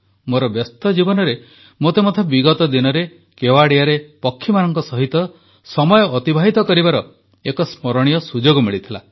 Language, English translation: Odia, Amid the hectic routine of my life, recently in Kevadia, I alsogot a memorable opportunity to spend time with birds